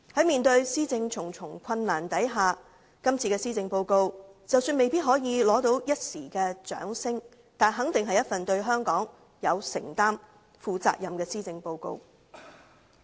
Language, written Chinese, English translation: Cantonese, 面對施政的重重困難，今次施政報告即使未必可以博得一時掌聲，但肯定是一份對香港有承擔、負責任的施政報告。, Facing all kinds of difficulties in administration this Policy Address may not receive any applause for the moment but it is definitely a responsible policy address with commitment to Hong Kong